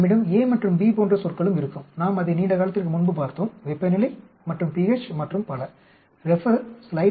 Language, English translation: Tamil, We will also have terms like a and b we looked at it long time back temperature and pH and so on actually